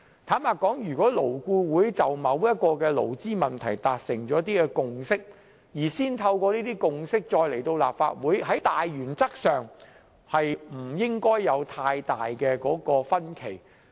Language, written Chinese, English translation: Cantonese, 坦白說，如果勞顧會就某項勞資問題達成共識，再基於這些共識把建議提交立法會，在大原則上理應不會有太大分歧。, Frankly if LAB has reached a consensus on a certain labour issue and submitted its proposal to the Legislative Council on the basis of such consensus there should not be much disagreement over the general principle